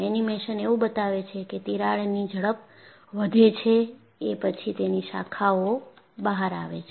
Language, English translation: Gujarati, The animation shows that, crack speed increases and it branches out